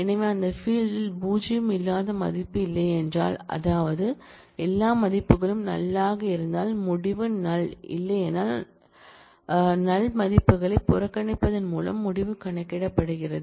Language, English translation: Tamil, So, if on that field there is no value which is not null, that is if all values are null then the result is null otherwise the result is computed by ignoring the null values